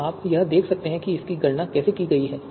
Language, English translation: Hindi, So you can see here how this has been computed